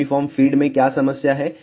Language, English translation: Hindi, What is the problem with the uniform feed